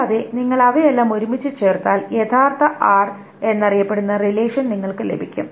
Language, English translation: Malayalam, And if you join all of them together, then you get what is known the original relation R